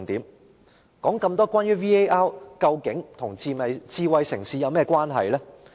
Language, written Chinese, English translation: Cantonese, 我說了這麼多關於 VAR 的事，究竟它與智慧城市有甚麼關係呢？, I have talked so much about VAR . What does it have to do with a smart city?